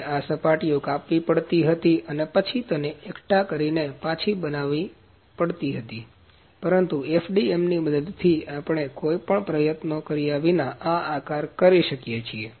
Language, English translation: Gujarati, So, we had to cut the faces and then assemble it and then fabricate it, but with the help of FDM we can do this entire shape without putting any effort